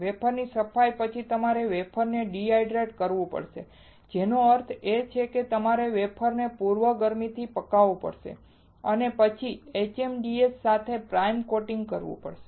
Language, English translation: Gujarati, After wafer cleaning you have to dehydrate the wafer; which means that you have to prebake the wafer and then do the primer coating with HMDS